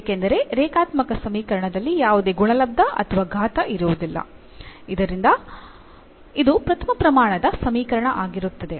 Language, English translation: Kannada, So, because in linear equation there will no product or no power, so it will be first degree